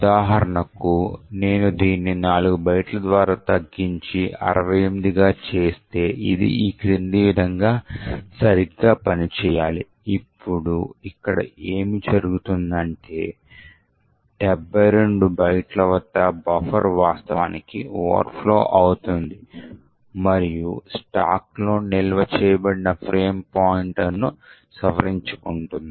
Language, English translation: Telugu, So for example if I use reduced this by 4 bytes and make it 68, this should work properly as follows, now what is happening here is that at 72 bytes the buffer is actually overflowing and modifying the frame pointer which is stored onto the stack, this is the smallest length of the string which would modify the frame pointer